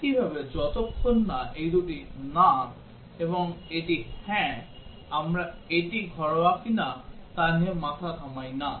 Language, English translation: Bengali, Similarly, as long as this two are no and this is yes, we do not bother whether it is a domestic or not